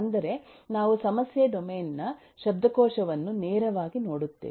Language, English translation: Kannada, that is, we take a look into directly the vocabulary of the problem domain